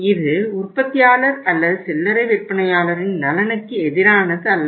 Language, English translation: Tamil, It is not against the interest of the manufacturer or the retailer but still it is not a good practice